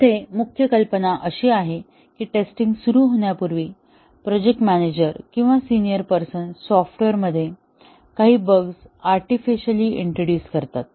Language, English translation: Marathi, Here, the main idea is that before the testing starts, the project manager or a senior person introduces some bugs artificially into the software